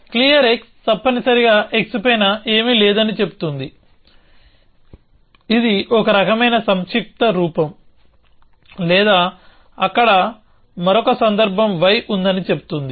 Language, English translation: Telugu, Clear x says that there is nothing on top of x essentially, which is a kind of a short form or saying that another case there exists y